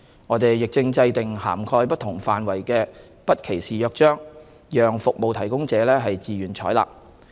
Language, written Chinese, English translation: Cantonese, 我們亦正制訂涵蓋不同範圍的《不歧視約章》，讓服務提供者自願採納。, We are also drawing up a charter on non - discrimination of sexual minorities covering various domains for voluntary adoption by service providers